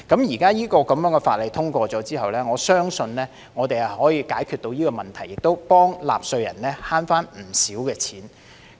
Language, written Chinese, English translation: Cantonese, 現在法例通過後，我相信我們可以解決這問題，亦替納稅人節省了不少金錢。, Now that the legislation has been enacted I believe we can solve this problem and save taxpayers a lot of money